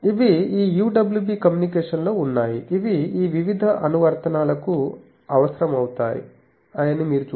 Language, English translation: Telugu, Then these are in communication this UWB you can see that these various applications, where these are required